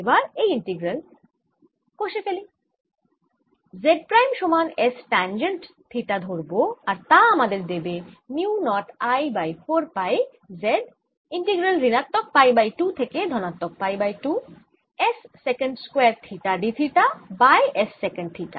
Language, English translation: Bengali, i do this integral by taking z prime equals s tangent theta and this gives me mu naught i over four pi z integral s secant square theta d theta over s sec theta minus pi by two to pi by two